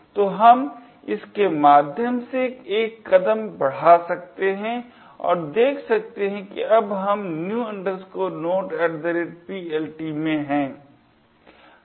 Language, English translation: Hindi, So, we can single step through that and see that we are now in the new node at PLT